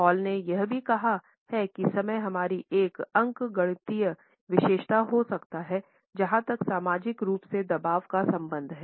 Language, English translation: Hindi, Hall has also pointed out that time can be an arithmetic characteristic as far as our social pressures are concerned